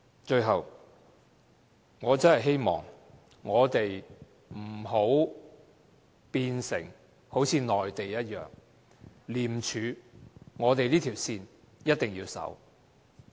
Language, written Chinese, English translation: Cantonese, 最後，我真的希望我們不要變成跟內地一樣，廉署這條線，我們一定要緊守。, Finally I really hope that Hong Kong will not be reduced to place like the Mainland . We have to stand fast to this line of ICAC